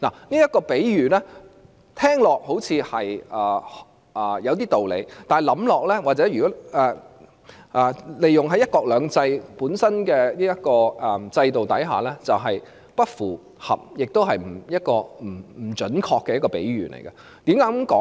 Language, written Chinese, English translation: Cantonese, 這個比喻聽起來似乎有點道理，但仔細想想，由於香港是在"一國兩制"的制度下，這便是一個不符合香港實際情況，也是不準確的比喻。, The analogy sounds reasonable . However if we think it over under the framework of One Country Two Systems it will not be the case that fits the actual situation of Hong Kong and it is not a precise analogy